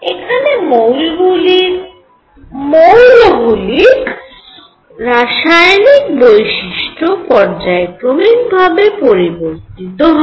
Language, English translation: Bengali, And what once it was chemical properties varied in a periodic manner